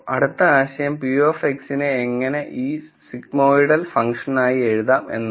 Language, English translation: Malayalam, The next idea is to write p of X as what is called as sigmoidal function